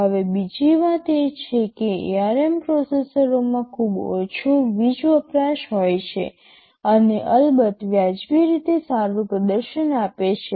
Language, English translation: Gujarati, Now another thing is that this ARM processors they have very low power consumption and of course, reasonably good performance